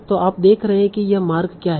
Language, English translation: Hindi, So you are saying what is this path